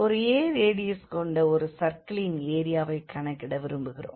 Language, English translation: Tamil, So, we have a circle of radius a, and we want to compute the area